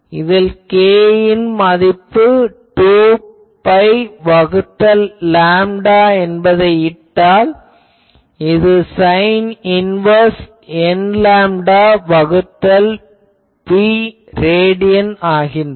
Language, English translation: Tamil, So, if you put the value of k which is 2 pi by lambda, it becomes sin inverse n lambda by b and remember that this is in the radian